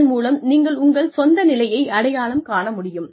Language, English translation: Tamil, So, you have to be able to identify, your own position